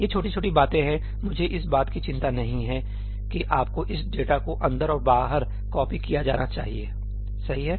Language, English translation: Hindi, These are minor things, I do not thing you should be worrying about this data being copied in and out